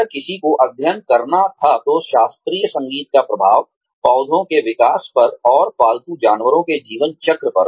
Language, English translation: Hindi, If somebody were to study, the impact of classical music, on growth of plants, and on the life cycles of pet animals